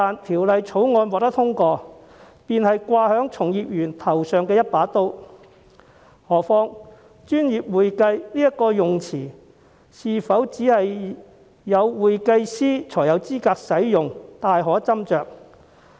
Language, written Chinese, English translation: Cantonese, 《條例草案》一旦獲得通過，就會變成架在從業員頭上的一把刀，更何況"專業會計"這個稱謂是否只有會計師才有資格使用，確實有斟酌餘地。, Once the Bill is passed it will become a knife hanging over the practitioners . Moreover it is indeed debatable whether only certified public accountants are qualified to use the description professional accounting